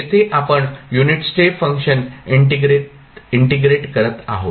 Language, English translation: Marathi, Here, we are integrating the unit step function